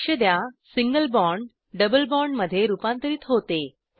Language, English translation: Marathi, Observe that the single bond is converted to a double bond